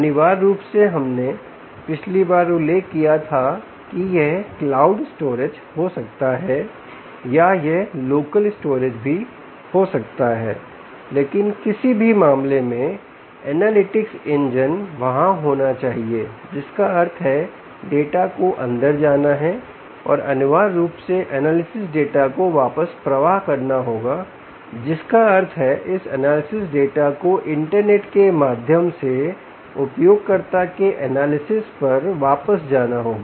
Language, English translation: Hindi, essentially, we mentioned last time that it could be cloud storage or it could be, ah, local storage as well, but in any case, analytics engine has to be there, which means data has to go in and, essentially, analysis data, analysis data will have to flow back, which means this analysis data via the internet has to go back to the user analysis